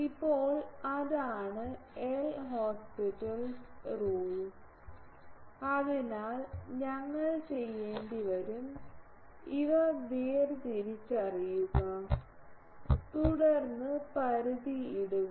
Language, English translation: Malayalam, Now so, that is a L Hospital rule so, we will have to differentiate these and then put the limit